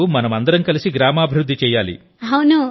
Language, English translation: Telugu, Now we all have to do the development of the village together